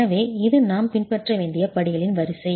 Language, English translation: Tamil, So this is a set of sequence of steps that we should be following